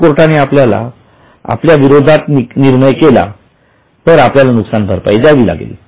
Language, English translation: Marathi, If court gives decision in our favor, we may not have to pay